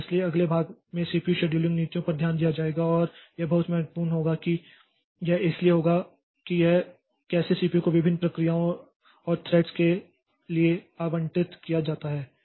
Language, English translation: Hindi, So, in the next portion so we'll be looking into the CPU scheduling policies and that will be very important because it will so it will be talking about how this CPU is allocated to different processes and threads